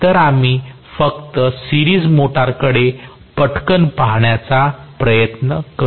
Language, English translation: Marathi, So, we will just to try take a look quickly at the series motor